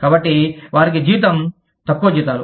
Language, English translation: Telugu, So, they are paid, lower salaries